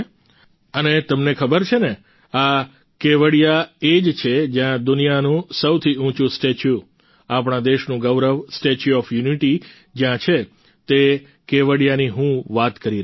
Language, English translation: Gujarati, And you also know that this is the same Kevadiya where the world's tallest statue, the pride of our country, the Statue of Unity is located, that is the very Kevadiya I am talking about